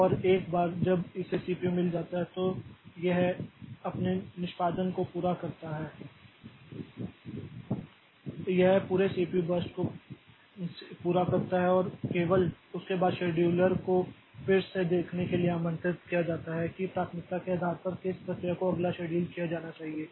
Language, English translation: Hindi, And once it gets the CPU so it completes its execution it completes entire CPU burst and after that only the scheduler is invoked again to see which process should be scheduled next based on priority